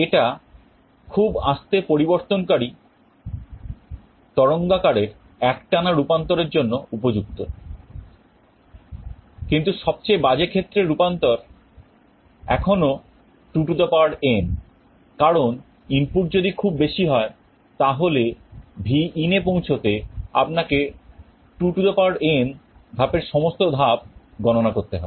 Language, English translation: Bengali, This is suitable for continuous conversion of very slowly varying waveform, but the worst case conversion is still 2n because if the input is very high you will have to count through all 2n steps to reach Vin